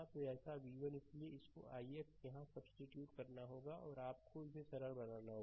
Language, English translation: Hindi, So, so v 1 so, this i x has to be substitute here and you have to simplify it